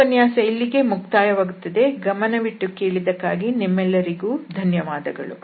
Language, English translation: Kannada, So, that is all for this and thank you very much for your attention